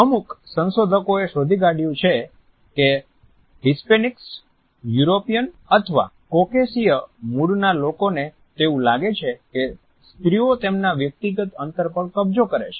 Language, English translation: Gujarati, Certain researchers have found out that Hispanics followed by Europeans or people of Caucasian origin are least likely to feel that women are invading their personal space